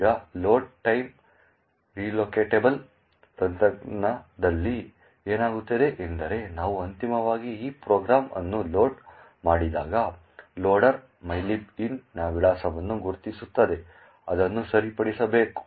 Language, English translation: Kannada, Now, in the load time relocatable technique what happens is when we eventually load this program the loader would identify the address of mylib int has to be fixed